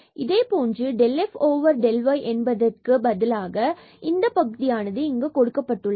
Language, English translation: Tamil, So, del over del y and we have just because this was del over del x on f and this del over del y on f